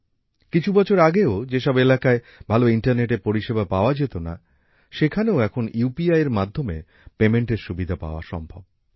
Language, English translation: Bengali, In places where there was no good internet facility till a few years ago, now there is also the facility of payment through UPI